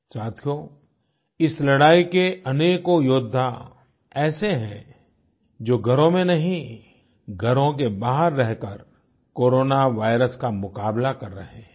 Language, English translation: Hindi, Friends, in this war, there are many soldiers who are fighting the Corona virus, not in the confines of their homes but outside their homes